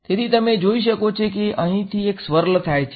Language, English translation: Gujarati, So, you can see that there is a swirl happening over here right